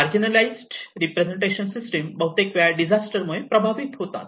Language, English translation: Marathi, The marginalized representation systems who often get affected by the disaster